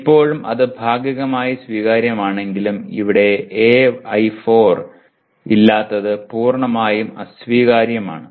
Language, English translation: Malayalam, While still that is partly acceptable but not having any AI4 here is totally unacceptable